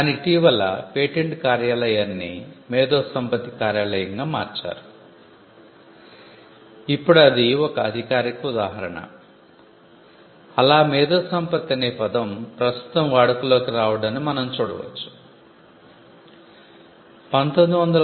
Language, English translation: Telugu, But recently the patent office was rebranded into the intellectual property office, now so that is one official instance where we found the term intellectual property getting into current usage